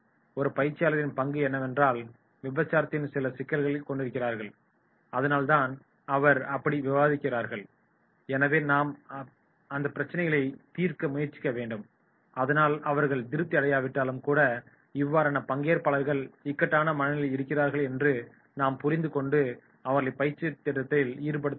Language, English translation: Tamil, And the role of a trainer will be that is the critics is having certain problems that is why he is criticising so we have to try to resolve those problems and then even if he is not satisfied then in that case we have to understand that this is the person who has to be little bit cornered